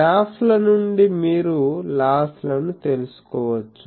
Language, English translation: Telugu, So, from the graphs, you can find out the losses